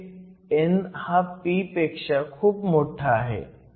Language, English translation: Marathi, So, it is much less than n